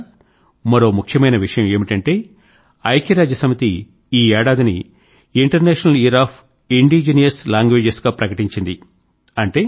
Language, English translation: Telugu, Friends, another important thing to note is that the United Nations has declared 2019 as the "International Year of Indigenous Languages"